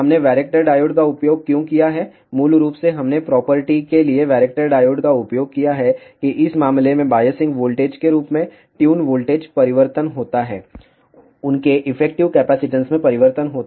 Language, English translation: Hindi, Why we have used varactor diodes, basically we have used varactor diodes for the property that as the biasing voltage in this case tune voltage changes, their effective capacitance changes